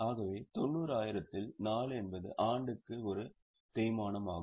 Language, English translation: Tamil, So, 90,000 upon 4 is a depreciation per annum